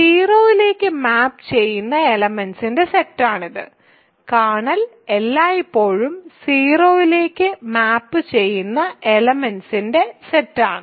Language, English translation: Malayalam, It is the set of elements that map to 0 right, kernel is always the set of elements that map to 0